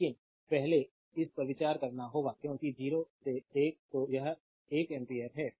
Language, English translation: Hindi, But first you have to consider this because 0 to 1